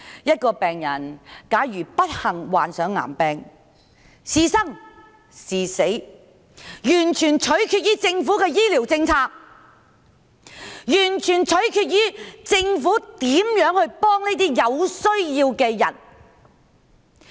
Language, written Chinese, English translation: Cantonese, 一個人假如不幸患上癌病，是生是死完全取決於政府的醫療政策，完全取決於政府如何幫助他這個有需要的人。, The life of a person suffering from cancer depends entirely on the Governments medical policy . It depends entirely on how the Government can help him